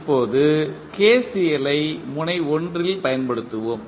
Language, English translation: Tamil, Now, let us apply the KCL at node 1